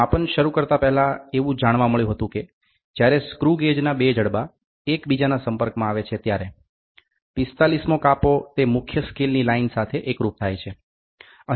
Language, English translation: Gujarati, Before starting the measurement it was found that when the two jaws of the screw gauge are brought in contact the 45th division coincides with the main scale line there is an error